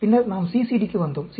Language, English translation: Tamil, Then, we came to CCD